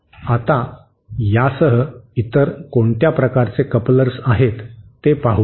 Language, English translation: Marathi, Now, with this let us see what other various types of couplers